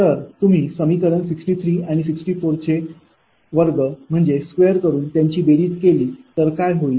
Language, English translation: Marathi, you square equation sixty three and sixty four and you add it